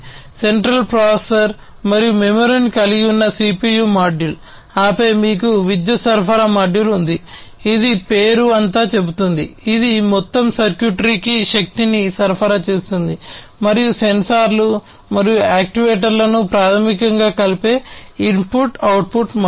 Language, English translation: Telugu, The CPU module which consists of the central processor and the memory, and then you have the power supply module, which the name says it all, it supplies power to the entire circuitry, and the input output module which basically connects the sensors and the actuators